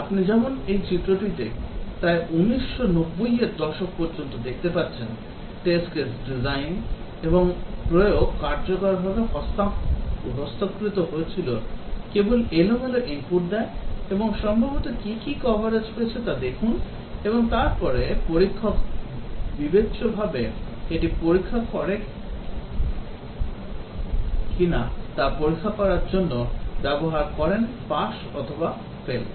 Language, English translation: Bengali, As you can see in this diagram till about 1990s, the test case design and execution was very well manual just keep on giving random inputs and possibly look at what is the coverage achieved and then the tester uses discretion to check whether it is a pass or fail